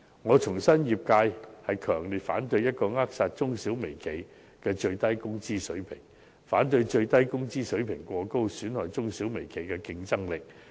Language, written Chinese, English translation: Cantonese, 我重申，業界強烈反對扼殺中小微企的最低工資水平，亦反對最低工資水平過高，損害中小微企的競爭力。, I reiterate that the industry strongly opposes the stifling of the minimum wage level of small and micro enterprises and opposes the exceedingly high minimum wage level for the competitive edge of these enterprises will be compromised